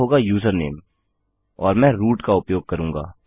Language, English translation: Hindi, The second one will be username and Ill use root